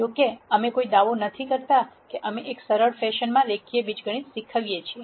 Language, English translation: Gujarati, However, we do not do any hand waving we teach linear algebra in a simple fashion